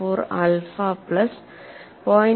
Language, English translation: Malayalam, 154 alpha plus 0